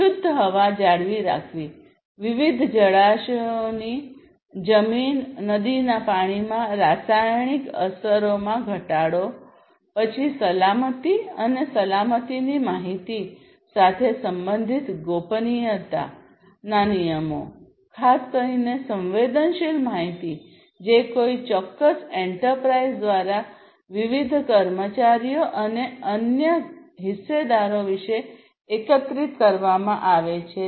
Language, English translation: Gujarati, Maintaining clean air, reduction of chemical effects in soil, river water of different water bodies and so on, then privacy regulations basically concerned the, you know, the information the safety of safety and security of the information particularly the sensitive information that is collected about the different employees and the different other stakeholders by a particular enterprise